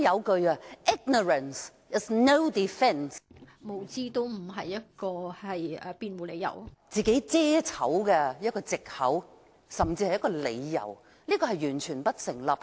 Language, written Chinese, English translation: Cantonese, 局長不能以無知作為為自己遮醜的藉口、甚至理由，這完全不成立。, As the saying goes ignorance is no defence the Secretary cannot use ignorance as an excuse or a reason to hide his fault